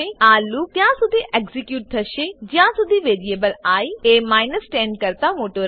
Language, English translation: Gujarati, This loop will execute as long as the variable i is greater than 10